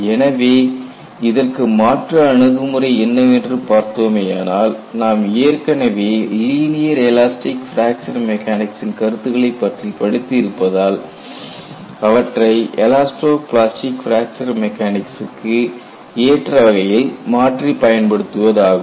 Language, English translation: Tamil, And in those approaches, what you really want to do is, you have already learned concepts related to linear elastic fracture mechanics; how these concepts could be modified and adapted for elasto plastic fracture mechanics